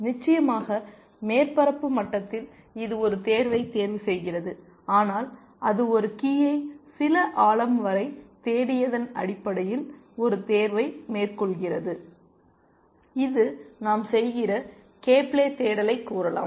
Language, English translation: Tamil, So, of course, on the surface level it is selecting a choice, but it is making a choice on the basis of having searched a key up to some depth, which is let us say k ply search we are doing